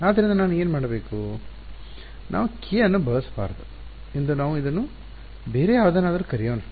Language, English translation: Kannada, So, what should I let us let us not use k let us call this by some other thing let us call this let us say p let us call this p